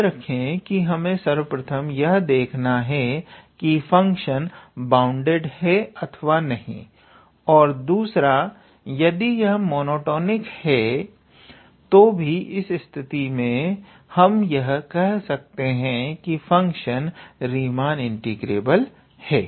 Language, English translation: Hindi, And second of all I mean if it is monotonic, then in that case also we can say that the function is Riemann integrable